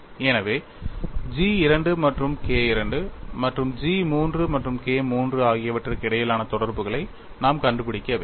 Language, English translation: Tamil, So, we have to find out the interrelationship between G 2 and K 2 G 3 and K 3